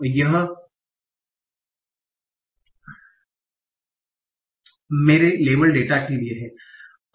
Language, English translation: Hindi, So this is from my label data